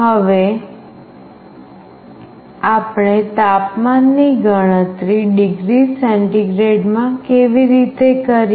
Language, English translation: Gujarati, Now how do we compute the temperature in degree centigrade